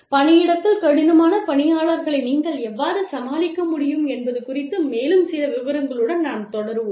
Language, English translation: Tamil, We will continue, with some more details, regarding how you can deal with difficult employees, in the workplace